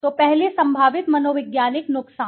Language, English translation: Hindi, So potentially psychological harm first